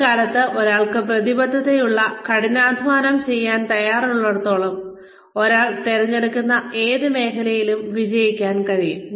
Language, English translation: Malayalam, But, these days, as long as, one is committed, and willing to work hard, one can succeed in any field, one chooses